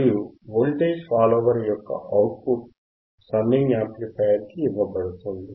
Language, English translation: Telugu, And the output of this is fed to the summing amplifier